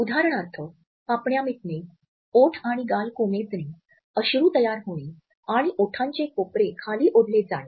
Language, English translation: Marathi, For example, dropping eyelids, lowered lips and cheeks, formation of tears and corners of the mouth dropping downwards